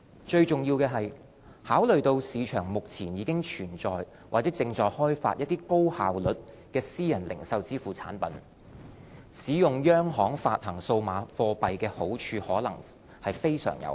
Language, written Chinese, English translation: Cantonese, 最重要的是，考慮到市場目前已存在或正開發高效率的私人零售支付產品，使用央行發行數碼貨幣的好處可能非常有限。, Most importantly benefits of a widely accessible CBDC may be limited if efficient private retail payment products are already in place or in development